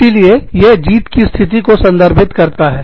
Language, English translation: Hindi, So, it refers to a, win win situation